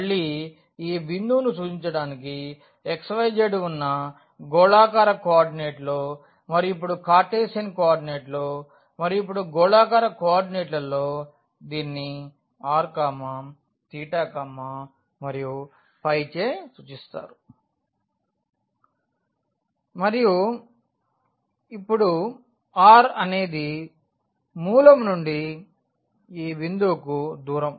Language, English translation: Telugu, So, again to represent this point which was x y z in a spherical coordinate and now in Cartesian coordinate and, now in spherical coordinates this is denoted by r theta and phi and now r is the distance from the origin to this point theta is the angle from the z axis